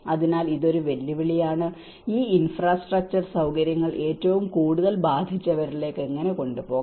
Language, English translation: Malayalam, So, this is also one of the challenge, how one can take these infrastructure facilities to the most affected